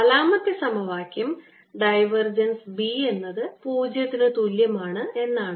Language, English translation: Malayalam, and the forth equation is: divergence of b is zero